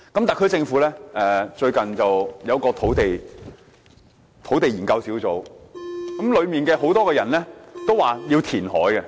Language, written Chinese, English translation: Cantonese, 特區政府最近成立了一個土地供應專責小組，當中不少成員主張填海。, The SAR Government has recently set up a Task Force on Land Supply many members of which favours land reclamation